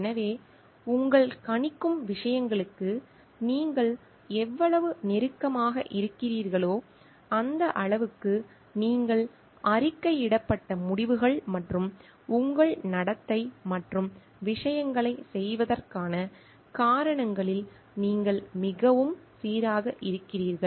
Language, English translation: Tamil, So, the more closer you are to your predicting things, the more consistent you are in the reported results and your behaviour and reasons of doing things